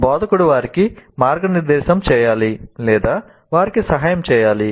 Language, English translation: Telugu, So instructor must guide them, instructor must help them